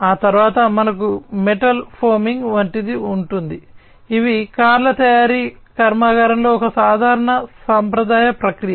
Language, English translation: Telugu, Then thereafter, we will have something like metal foaming, these are this is a typical traditional process in a car manufacturing plant